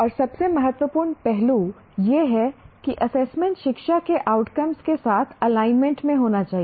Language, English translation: Hindi, And the most important aspect is the assessment should be in alignment with stated outcomes of education